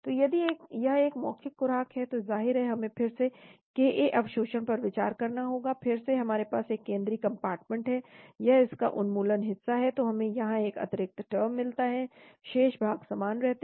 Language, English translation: Hindi, So if it is an oral dose of course we need to again consider ka absorption, again we have a central compartment, this is the elimination part of it, so we get an extra term here , remaining portions remain the same